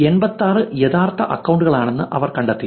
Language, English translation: Malayalam, These are the topics that the 86 real accounts are talking about